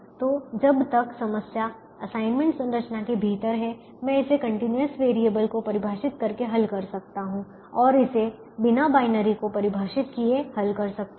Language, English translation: Hindi, so as long as the problem is within the assignments structures, i can solve it by defining continuous variables and just solve it without defining the binary